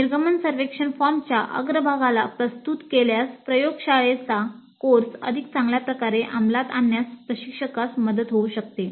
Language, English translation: Marathi, Exposer to the exit survey form upfront may help the instructor in implementing the laboratory course in a better way